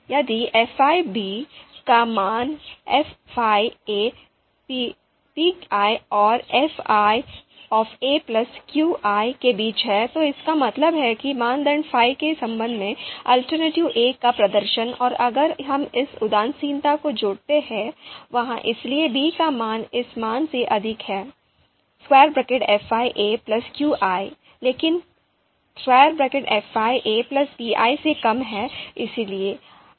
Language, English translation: Hindi, If the value of fi b is in between fi a plus qi, and fi a plus pi, that means the performance of alternative a with respect to criterion fi and if we add the you know you know you know this you know indifference threshold there, so the value of b is higher than this value fi a plus qi, but lower than fi a plus pi